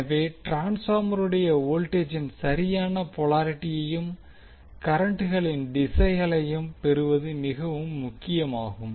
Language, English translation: Tamil, So now it is important to get the proper polarity of the voltages and directions of the currents for the transformer